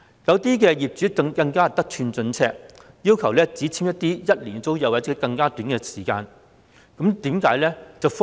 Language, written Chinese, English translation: Cantonese, 部分業主更得寸進尺，要求與租客簽署為期僅一年或時間更短的租約。, Some landlords are even more avaricious by requesting the tenants to enter into tenancy agreements lasting for only one year or even a shorter tenure